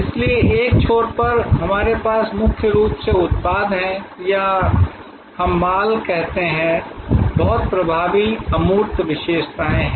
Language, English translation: Hindi, So at one end we have mainly products or we call goods, very dominant intangible characteristics